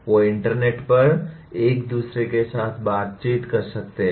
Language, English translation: Hindi, They can interact with each other over the internet